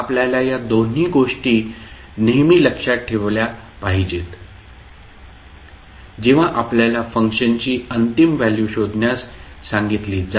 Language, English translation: Marathi, So these two things you have to always keep in mind, when you are asked to find the final value of the function f t that is f infinity